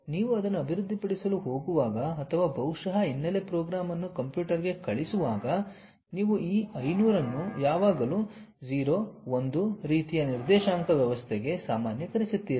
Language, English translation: Kannada, But, when you are teaching it to the computer the modules, when you are going to develop or perhaps the background program you always normalize this one 500 to something like 0 1 kind of coordinate system